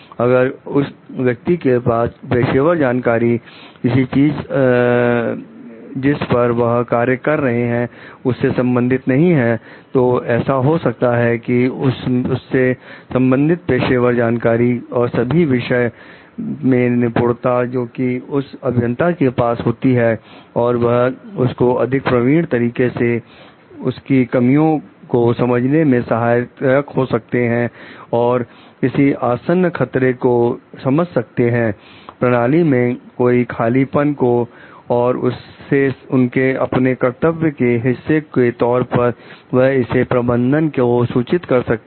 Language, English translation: Hindi, If that person does not have the professional knowledge of the particular thing that people are working on so it may be so that the like profession knowledge and all its subject matter expertise that the engineer have is make them more proficient for understanding any loopholes, understanding any imminent dangers, any gaps in the system and like as a part of their duty may be report it to the manager